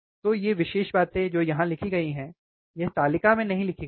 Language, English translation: Hindi, So, this is this particular things here which is written, it this is not written in the table, it is not in the table, right